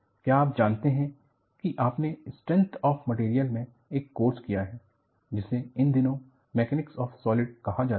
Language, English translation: Hindi, And, what you will have to find out is, you have done a course in strength of materials, which is called as Mechanics of Solids in recent days